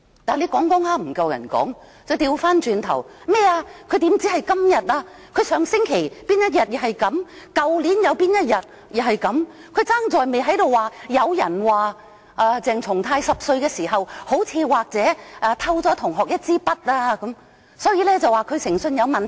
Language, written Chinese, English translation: Cantonese, 但當她說不過別人時，便說他何只今天，他上星期某一天也是這樣，去年某一天亦如是，只差在沒說聽聞鄭松泰議員10歲時好似、可能偷了同學一枝筆，證明他誠信有問題。, When she could not win the argument she said that not only today he was like that on a certain day last week he was like that on a certain day last year . She stopped short of saying that she had heard that Dr CHENG Chung - tai seemed to have and might probably have stolen a pen from his classmate when he was 10 years old and that served as evidence that his integrity was questionable